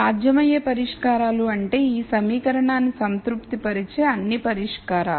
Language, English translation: Telugu, Feasible solutions meaning those are all solutions which can satisfy this equation